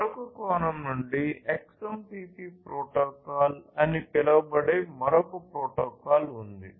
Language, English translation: Telugu, From another point of view there is another protocol which is called the XMPP protocol